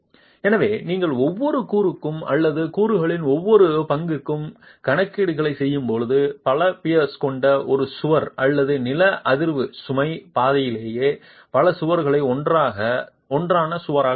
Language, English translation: Tamil, So, when you are making the calculations for each component or each, when you are talking of component it is one wall with several peers or the wall together, several walls together in the seismic load path itself